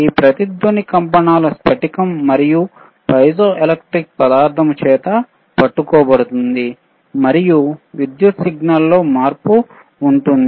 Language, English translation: Telugu, Tthis resonance will be caught by the vibrating crystal piezoelectric material, this material is piezoelectric and there will be change in the electrical signal